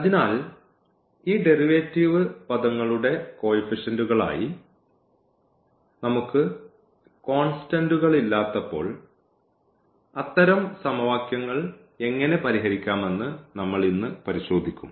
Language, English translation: Malayalam, So, we will today look into that how to solve such equations when we have non constants in as the coefficients of these derivative terms